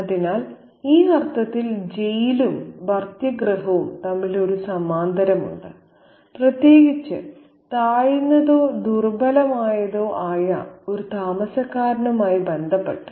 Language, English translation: Malayalam, So, in this sense there is a parallel between the jailhouse and the in loss space, especially in relation to an occupant who is occupying a inferior or a weak position